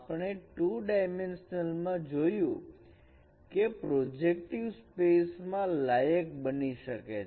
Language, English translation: Gujarati, We will see in the two dimensional projective space this could be qualified